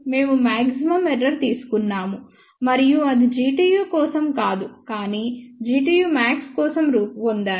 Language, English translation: Telugu, We take the maximum possible error and that will be obtained not for G tu, but for G tu max